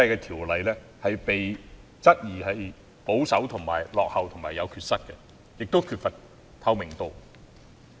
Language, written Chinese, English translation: Cantonese, 《條例》現時被質疑保守、落後、有缺失及缺乏透明度。, People now query if COIAO is too conservative backward deficient and non - transparent